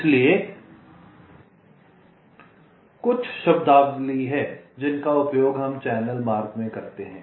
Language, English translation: Hindi, ok, so there are some terminologies that we use in channel routing: track